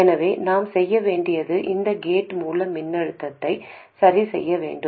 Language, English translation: Tamil, So, what we need to do is to adjust this gate source voltage